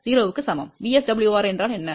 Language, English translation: Tamil, So, that is the value of VSWR which is 5